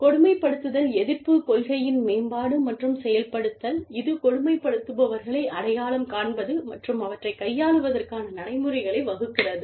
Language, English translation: Tamil, Development and implementation of anti bullying policy, that addresses identification of bullies, and lays down procedures, for dealing with them